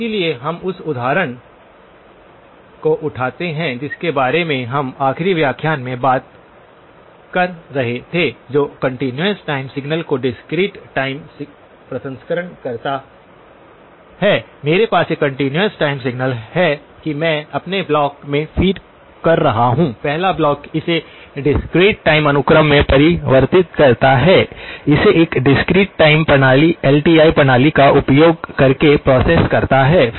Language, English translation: Hindi, So the we pick up the example that we were talking about in the last lecture discrete time processing of continuous time signals, I have a continuous time signal that I am feeding into my block, first block converts it into a discrete time sequence, process it using a discrete time system LTI system